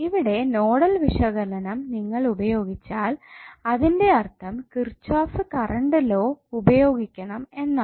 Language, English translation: Malayalam, So if you apply nodal analysis that means that you have to use Kirchhoff’s current law here